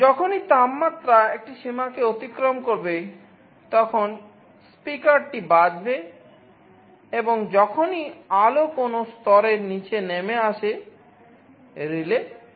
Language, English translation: Bengali, Whenever the temperature crosses a threshold the speaker will be sounded, and whenever the light falls below a level the relay will be activated